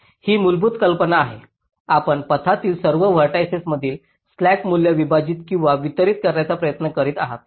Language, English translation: Marathi, you are trying to divide or distribute the slack value across all vertices in the path